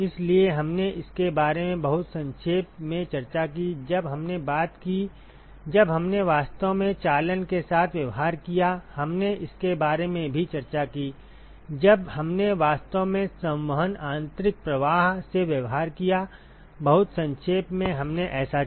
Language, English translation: Hindi, So, we discussed about it very briefly when we talked when we actually dealt with conduction, we also discussed about it when we actually dealt with convection internal flows, very briefly we did that